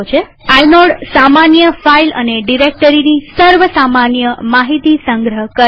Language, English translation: Gujarati, Inode stores basic information about a regular file or a directory